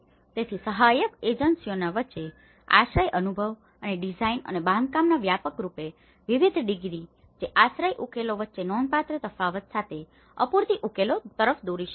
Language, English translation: Gujarati, So, the widely varying degree of shelter experience and knowledge of design and construction between assistance agencies, which can lead to inadequate solutions with significant variance between shelter solutions